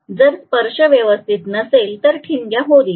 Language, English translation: Marathi, If the contact is not proper there will be sparking